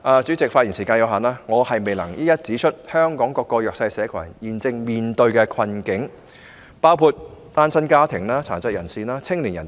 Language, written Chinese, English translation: Cantonese, 主席，發言時間有限，我未能一一指出香港各個弱勢社群現正面對的困境，包括單親家庭、殘疾人士和青年人等。, President due to the limited speaking time I am not able to point out one by one the predicaments currently faced by various disadvantaged groups in Hong Kong including single - parent families people with disabilities and young people